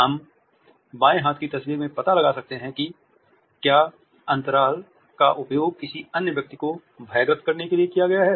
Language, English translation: Hindi, We can make out in the left hand side photographs whether the space has been used to intimidate another person